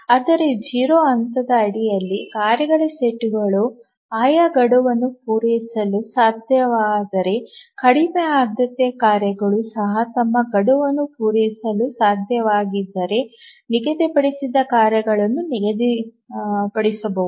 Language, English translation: Kannada, But even under zero phasing, if the task set is able to meet the respective deadlines, even the lowest tasks, lowest priority tasks are able to meet their deadlines, then the tasks set will be schedulable